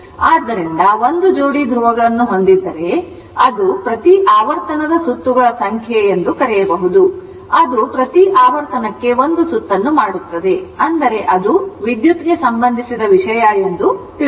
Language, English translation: Kannada, So, if you have 1 pair of poles, it will may your what you call it is number of cycles per revolution, it will make 1 cycle per revolution, that is your it is you know it is electrical thing